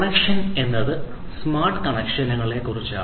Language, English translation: Malayalam, So, connection: so, we are talking about smart connections